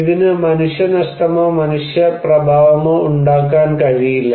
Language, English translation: Malayalam, It cannot cause any human loss or human effect